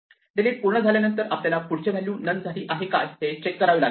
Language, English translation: Marathi, Now, after the delete is completed we check whether the next value has actually become none